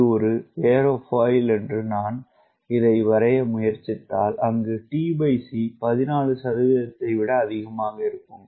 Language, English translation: Tamil, if i try to draw this, if this is an aerofoil to a, t by c is greater than fourteen percent